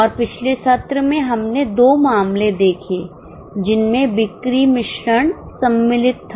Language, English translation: Hindi, And in last session we did two cases where sales mix was involved